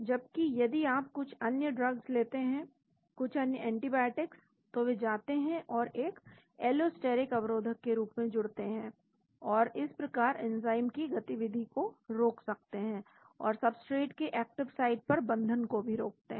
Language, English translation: Hindi, Whereas if you take some other drugs, some other antibiotics they go and bind as an allosteric inhibitor and hence prevent the activity of the enzyme and also prevents the binding of substrate to the active site